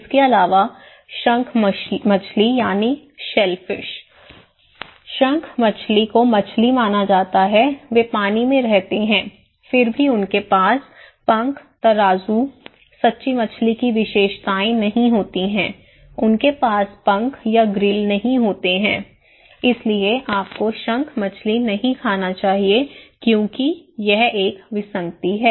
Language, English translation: Hindi, Also, shellfish; shellfish is considered to be fish, they live in the water yet they lack fins, scales, characteristics of true fish, they do not have fins or grills, okay, so you should not eat shellfish because is an anomaly